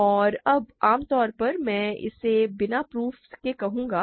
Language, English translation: Hindi, And now, more generally I will say this without proof